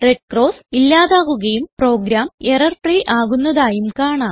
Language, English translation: Malayalam, We see that the red cross mark have gone and the program is error free